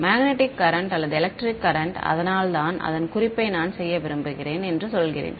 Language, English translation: Tamil, Magnetic current or electric current so that is why I am saying that that is I want to make a note of it